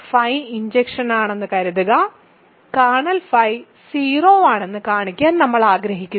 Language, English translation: Malayalam, Suppose, phi is injective; we want to show kernel phi is 0 ok